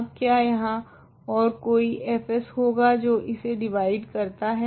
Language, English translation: Hindi, Now are there any other fs that divide it